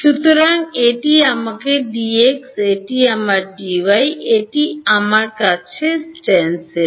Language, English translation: Bengali, So, this is my D x this is my D y, this is the stencil that I have